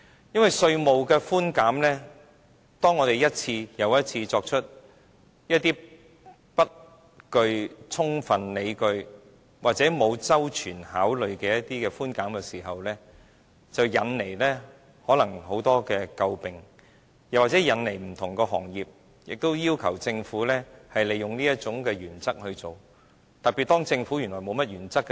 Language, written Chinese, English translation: Cantonese, 因為稅務的寬減，當我們一次又一次作出一些不具充分理據或沒有周全考慮的寬減時，引來很多詬病，或引來不同行業要求政府，利用這種原則去做，結果會很嚴重，特別當政府原來沒甚麼原則時。, With regard to tax concessions when we time and again offer concessions without proper justification or thorough consideration and if such moves draw criticisms or lead to demands from other sectors for similar treatment based on the same principle then we will get ourselves into a corner especially when the Government does not respect its own principle very much